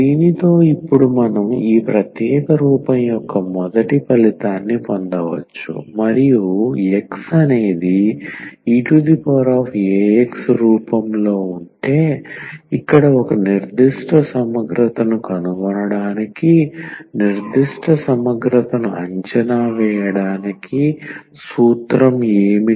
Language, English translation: Telugu, So, with this now we can derive now the first result of this special form and that is here if X is of the form e power a x, then what will be our formula to evaluate the particular integral to find a particular integral